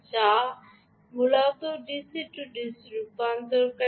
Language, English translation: Bengali, they are basically d c d c converters